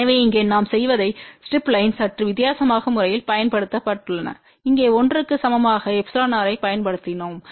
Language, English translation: Tamil, So, here what we have done the strip line has been used in a slightly different fashion here we have used epsilon r equal to 1